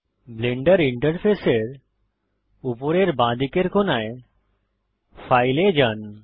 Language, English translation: Bengali, Go to File at the top left corner of the Blender interface